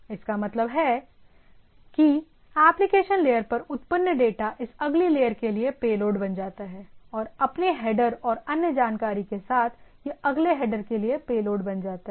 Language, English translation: Hindi, That means, the data generated at the application layer becomes a payload for this next layer, becomes that along with its own header and other information, it becomes a payload for the next header